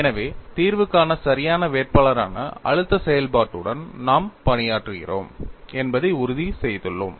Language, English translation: Tamil, So, we have made sure that we are working with the stress function, which is a valid candidate for solution